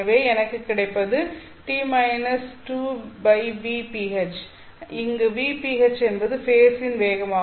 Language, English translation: Tamil, So what I get is t minus z by vp h, where vph is the phase velocity